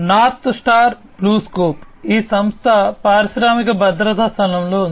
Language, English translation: Telugu, North Star BlueScope, this company is into the industrial safety space